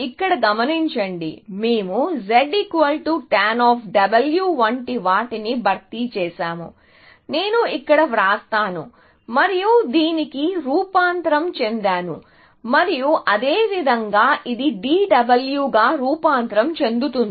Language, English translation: Telugu, Notice that here, we have replaced something like Z equal to tan W, let me write it here, and transformed into this, and likewise, this can get transformed into d w